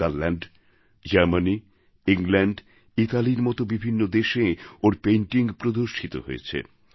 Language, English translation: Bengali, He has exhibited his paintings in many countries like Netherlands, Germany, England and Italy